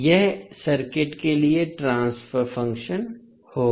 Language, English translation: Hindi, That would be the transfer function for the circuit